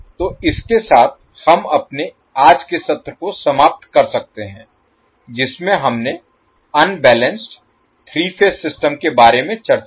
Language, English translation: Hindi, So with this we can close our today's session in which we discussed about the unbalanced three phase system